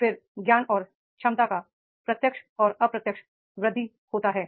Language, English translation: Hindi, Then direct and indirect enhancement of knowledge and ability is there